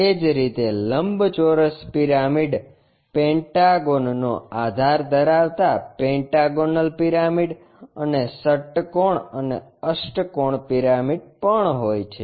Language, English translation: Gujarati, Similarly, rectangular pyramid having base pentagonal pyramid having a base of pentagon, and ah hexagonal and octagonal pyramids also